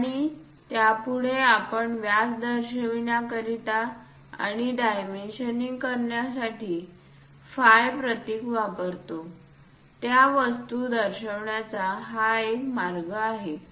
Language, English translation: Marathi, And next to it, we show the phi symbol diameter represents and the dimensioning that is one way of showing the things